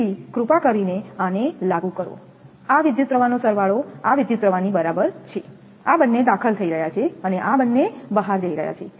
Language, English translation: Gujarati, So, please apply this, this current summation is equal to this current is entering this two and this two are leaving